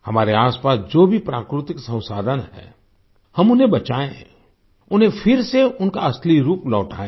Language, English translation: Hindi, Whatever natural resources are around us, we should save them, bring them back to their actual form